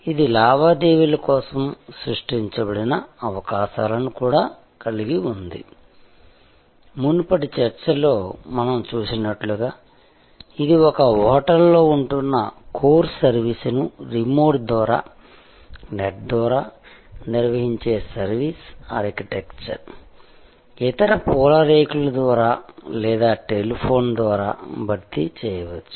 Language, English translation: Telugu, It also sort of created possibilities for transactions that could be done as we saw in the previous discussion that is stay at a hotel, the core service could be supplemented by most of the other flower petals of the service architecture, conducted over remotely over the net or over the telephone and so on